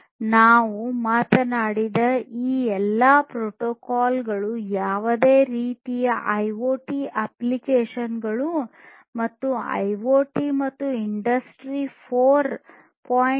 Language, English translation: Kannada, All these protocols that we have talked about are very much attractive for use with any kind of IoT applications and IoT and industry 4